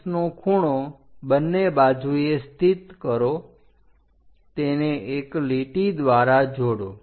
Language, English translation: Gujarati, Locate 45 degree angle on both sides join it by a line